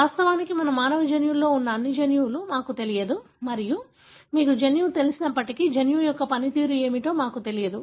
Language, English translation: Telugu, In fact, we do not know all the genes that our human genome contains and even if you know the gene, we do not know what is the function of the gene